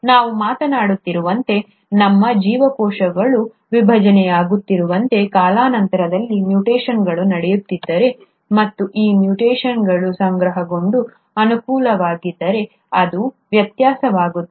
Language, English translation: Kannada, For all you may know, as we are talking and as are our cells dividing, if mutations are taking place with time, and if these mutations accumulate and become favourable, it becomes a variation